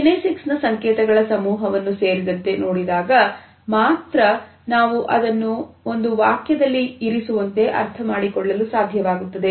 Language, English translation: Kannada, Its only when we look at the cluster of kinesic movements that we are able to fix the meaning by putting it in a sentence